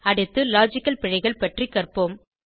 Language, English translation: Tamil, Next we will learn about logical errors